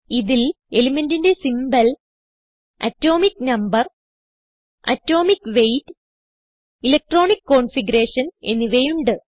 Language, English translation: Malayalam, * It has Symbol of the element, * Atomic number, * Atomic weight and * Electronic configuration